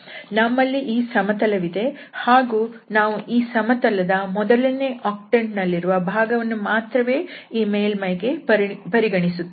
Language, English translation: Kannada, So we have this plane and we are considering only the first octant of that plane for this surface